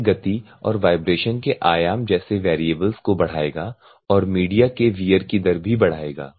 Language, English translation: Hindi, It will increase the variables, increasing the variables like speed and amplitude of vibration also increases the media wear rate